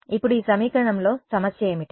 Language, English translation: Telugu, Now, what is the problem with this equation